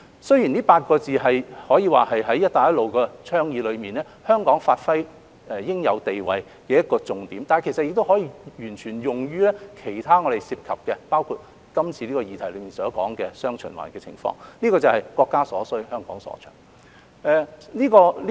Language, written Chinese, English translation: Cantonese, 雖然這8個字可以說是香港在"一帶一路"倡議內發揮應有地位的重點，但亦可以完全用於其他議題，包括今次議題所說的"雙循環"的情況，就是"國家所需，香港所長"。, Although it can be said that this policy is the key for Hong Kong to duly give play to its position under the Belt and Road Initiative it may also apply in other cases including the dual circulation under discussion . This policy is what the country needs what Hong Kong is good at